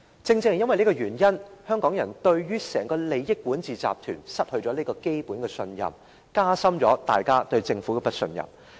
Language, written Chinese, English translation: Cantonese, 正因為這個原因，香港人對整個利益管治集團失去了基本的信任，加深了對政府的不信任。, For this reason the people of Hong Kong have lost their fundamental trust in the entire governing clique with vested interests . Their mistrust in the Government has deepened